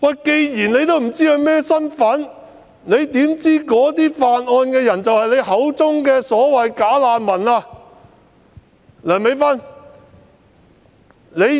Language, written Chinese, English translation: Cantonese, 既然她不知道犯案人的身份，又怎知犯案人是她口中所謂的"假難民"呢？, Given that the identities of the offenders could not be ascertained how could she claim that the relevant offence was committed by some bogus refugees as she called them?